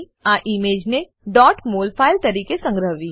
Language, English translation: Gujarati, * Save the image as .mol file